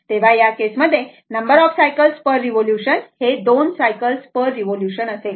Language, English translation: Marathi, So, in this case, your number of cycles per revolution means it will make 2 cycles per revolution